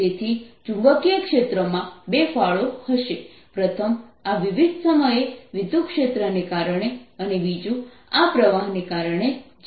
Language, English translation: Gujarati, so there will be two contribution to magnetic field, first due to this time varying electric field and the second due to this current which is flowing through the wire